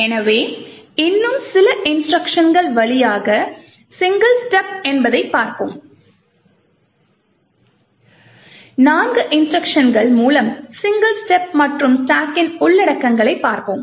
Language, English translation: Tamil, So, let us single step through a few more instructions let us say the single step through four instructions and look at the contents of the stack